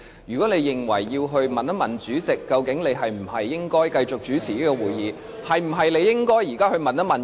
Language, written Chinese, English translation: Cantonese, 如果你認為要向主席查詢應否由你繼續主持會議，那麼，你是否應該現在就去詢問呢？, If you think that you should consult the President on whether you should continue to preside over the meeting should you not do it now?